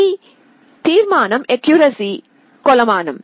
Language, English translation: Telugu, This resolution is a measure of accuracy